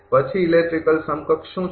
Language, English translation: Gujarati, Then what is the electrical equivalent